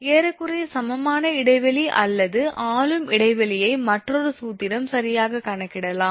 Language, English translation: Tamil, An approximate equivalent span or ruling span can be calculated as another formula is there right